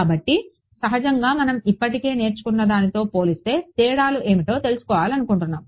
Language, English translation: Telugu, So, naturally we want to find out what are the differences compared to what we already learnt ok